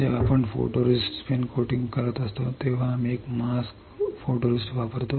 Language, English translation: Marathi, Whenever we are spin coating photoresist we will use one mask see photoresist